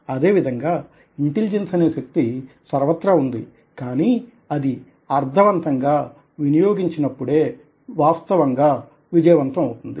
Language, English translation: Telugu, in a similar way, there is these energy of intelligence all around, but only when it is applied in a meaningful way can it actually be successful